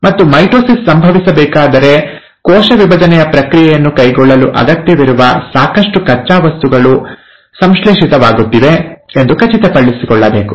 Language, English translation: Kannada, And for mitosis to happen, it has to make sure that the sufficient raw materials which are required to carry out the process of cell division are getting synthesized